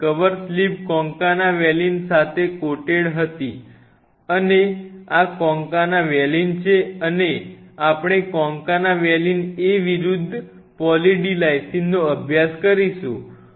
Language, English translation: Gujarati, So, the cover slips were all coated with concana valine and this is concana valine and we made a comparative study concana valine A versus Poly D Lysine